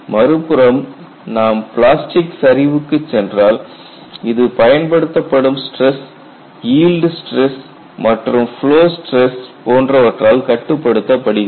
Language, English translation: Tamil, On the other hand, we go to plastic collapse, this is controlled by again applied stress, yield stress as well as flow stress